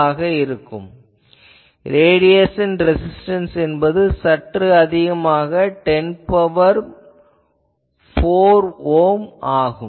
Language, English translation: Tamil, So, apply the radiation resistance will be quite high 10 to the power 4 ohm